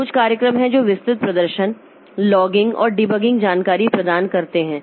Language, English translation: Hindi, There are some programs that provide detailed performance, logging and debugging information